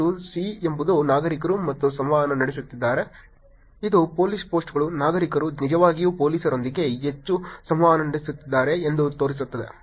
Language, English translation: Kannada, And the C is only citizens are interacting, which shows that the police posts, citizens are actually interacting with police more